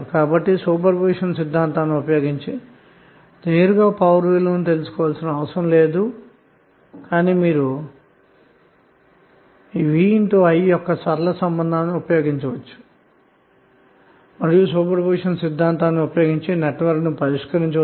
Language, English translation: Telugu, So you need not to go for finding out the value of power P directly using super position theorem but you can use the linear relationship of VI and use super position theorem to solve the circuit